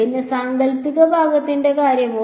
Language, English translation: Malayalam, And, what about the imaginary part